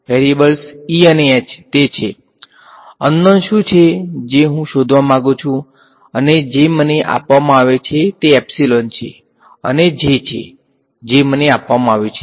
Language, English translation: Gujarati, E and H that is what is unknown that is what I want to determine and what is given to me is epsilon and J right that is what is given to me